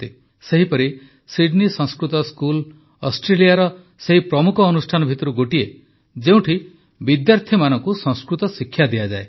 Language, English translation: Odia, Likewise,Sydney Sanskrit School is one of Australia's premier institutions, where Sanskrit language is taught to the students